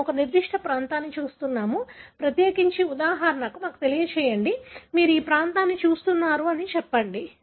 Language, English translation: Telugu, We are looking at a particular region, particular, let us for example, you are looking that region, let us say